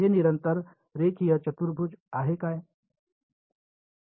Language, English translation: Marathi, Is it constant linear quadratic what is it